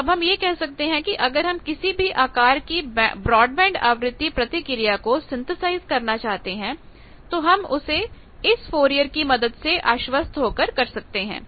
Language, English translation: Hindi, So, we can say that if you we want to synthesize any broadband frequency response of any shape that can be achieved here that is the guarantee of Fourier